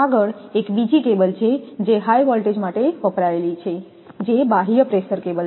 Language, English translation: Gujarati, And, next is another cable used for high voltage is external pressure cable